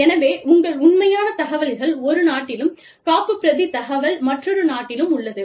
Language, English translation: Tamil, So, your actual information is in one country, and the backup information is in another country